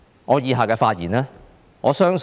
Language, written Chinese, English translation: Cantonese, 我以下的發言，我相信是......, What I am going to say I believe I wonder whether I will say this in the future